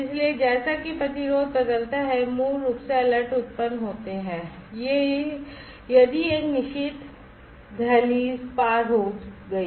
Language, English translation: Hindi, So, as the resistance changes basically alerts are generated, if a certain threshold is crossed